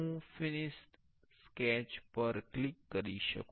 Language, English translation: Gujarati, I will click on the finished sketch